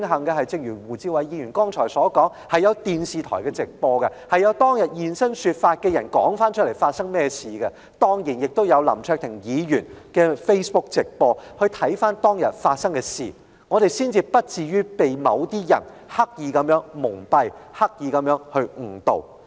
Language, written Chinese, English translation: Cantonese, 不過，正如胡志偉議員剛才所說，慶幸有電視台直播，以及有人現身說法，訴說當天發生甚麼事，當然亦有林卓廷議員的 Facebook 直播，讓大家可以回顧當天發生的事情，才不至於被某些人刻意蒙蔽和誤導。, But as rightly asserted by Mr WU Chi - wai just now the live television footages victims first - hand accounts of the happenings that day and of course the Facebook live streams of Mr LAM Cheuk - ting have enabled people to look back at what happened that day and avoid being deceived or misled by certain people on purpose